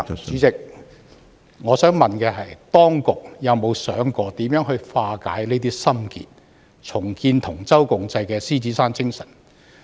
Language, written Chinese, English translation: Cantonese, 主席，我想問的是，當局有否想過如何化解這些心結，重建同舟共濟的獅子山精神？, President my question is Have the authorities considered how to untie the mental block and reinstate the Lion Rock spirit which encourages people to pull together in times of trouble?